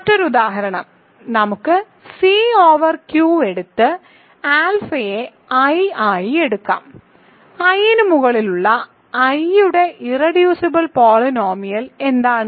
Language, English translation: Malayalam, Similarly, if you take R over Q C over R and alpha equal to i irreducible polynomial of i over R is actually the same it is x squared plus 1